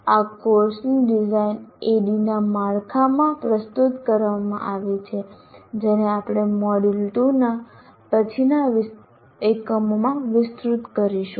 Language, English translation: Gujarati, And this course design is presented in the framework of ADD, which we will elaborate in later units of this module 2